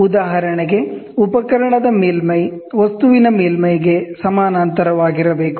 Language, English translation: Kannada, For instance, the surface of the instrument should be parallel to the surface of the object